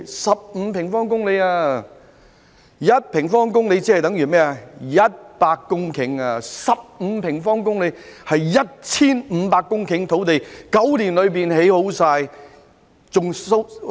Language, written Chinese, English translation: Cantonese, 一平方公里等於100公頃土地，而15平方公里便等於 1,500 公頃土地，在9年內便完成。, As 1 sq km of land is equal to 100 hectares of land 15 sq km of land would be equal to 1 500 hectares of land all created in nine years